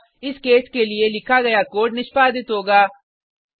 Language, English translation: Hindi, So the code written against this case will be executed